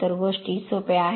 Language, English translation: Marathi, So, this is simple thing